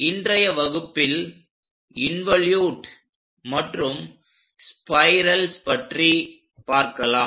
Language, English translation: Tamil, In today's class, we are going to look at involute and spirals